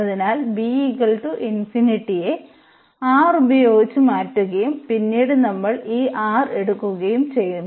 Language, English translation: Malayalam, So, this b which is infinity we have replaced by this R and then we are taking this R to infinity